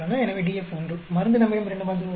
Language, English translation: Tamil, So, DF is 1, drug we have two drugs